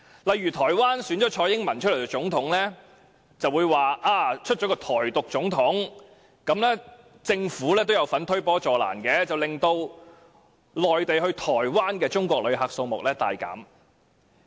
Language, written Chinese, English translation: Cantonese, 例如台灣蔡英文當選總統，他們就說台灣選了一位台獨總統，在政府推波助瀾下，中國內地到台灣的旅客數目大減。, For example after TSAI Ing - wen became the President of Taiwan many Mainlanders claimed that an advocate of Taiwan Independence was elected and being fueled by the Governments they stopped visiting Taiwan . Thus the number of Mainland visitors to Taiwan plummeted